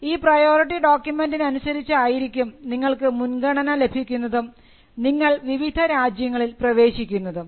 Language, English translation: Malayalam, Based on the priority document, you get a priority and then you enter different countries